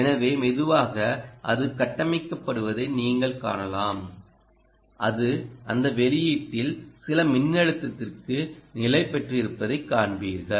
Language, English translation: Tamil, there you are, so you can see slowly it is building, um, and you will see that it has stabilized to some voltage at the output